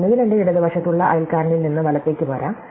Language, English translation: Malayalam, I can either come right from the neighbor on my left